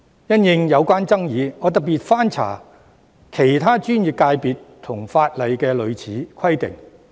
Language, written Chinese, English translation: Cantonese, 因應有關的爭議，我特別翻查了其他專業界別和法例的類似規定。, In view of the controversy I have specially looked up similar requirements in other professional sectors and legislation